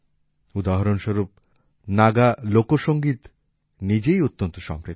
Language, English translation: Bengali, For example, Naga folk music is a very rich genre in itself